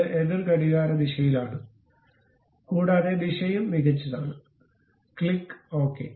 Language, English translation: Malayalam, And it is in the counter clockwise direction, and direction also fine, click ok